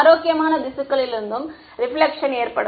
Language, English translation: Tamil, So, reflection will occur from healthy tissue also